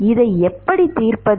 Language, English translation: Tamil, Is that the solution